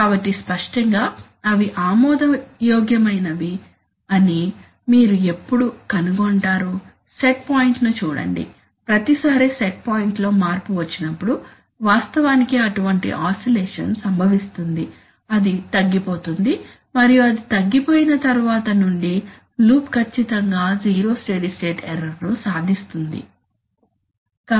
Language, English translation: Telugu, So obviously, you will find that they are acceptable, when, see the set point, every time there is a set point change such an oscillation will actually result, it will die down and then from then on after it dies down the loop will exactly achieve zero steady state error